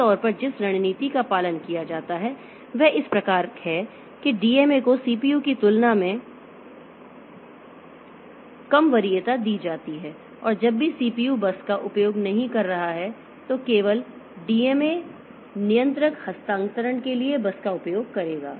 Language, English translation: Hindi, Normally the strategy that is followed is the DMA is given lower preference than CPU and whenever the CPU is not using the bus then only the DMA controller will be using the bus for the transfer